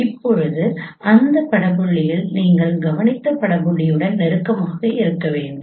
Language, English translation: Tamil, Now those image points should be close to your observed image point